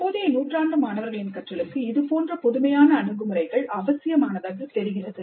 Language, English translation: Tamil, The present century seems to demand such novel approaches to student learning